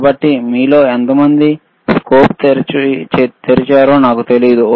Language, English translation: Telugu, So, I do n ot know how many of you have opened doors in a a scope